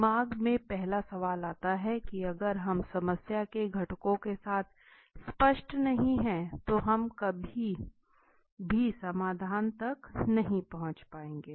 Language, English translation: Hindi, The first question comes to the mind if we are not clear with the problem components then we would never be able to reach to a solution okay